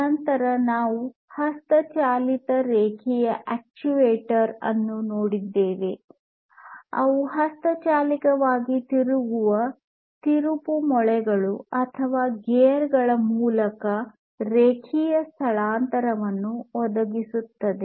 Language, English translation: Kannada, Then we have the manual linear actuator which provides linear displacement through the translation of manually rotated screws or gears